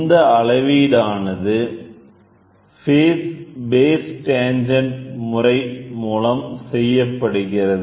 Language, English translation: Tamil, The measurement is based on the base tangent method so base tangent method